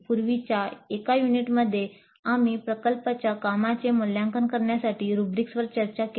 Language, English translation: Marathi, In one of the earlier units we discussed rubrics for assessing the project work